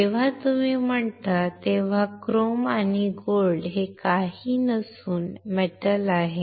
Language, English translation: Marathi, Chrome and gold, when you say are nothing, but a metals